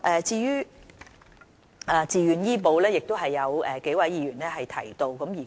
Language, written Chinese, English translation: Cantonese, 至於自願醫保計劃，亦有多位議員提及。, Many Members have mentioned the Voluntary Health Insurance Scheme